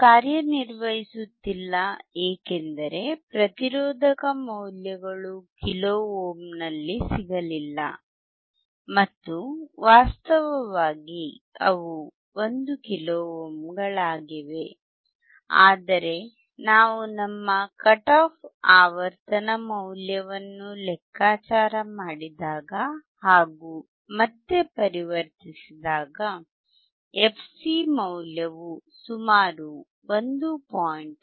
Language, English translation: Kannada, It was not working because the resistors value were not get that in kilo ohm and in fact, they were 1 kilo ohms, but when we converted back to when we when we calculated our cut off frequency value then we found that the fc value is about 1